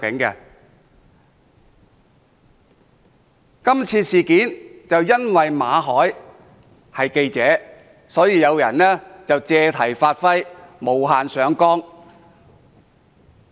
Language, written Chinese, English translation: Cantonese, 今次事件因為主角馬凱是記者，所以有人借題發揮，無限上綱。, As Victor MALLET the person involved in this incident is a journalist someone makes an issue of the incident and overplays its impact